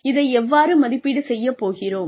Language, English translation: Tamil, How will we evaluate this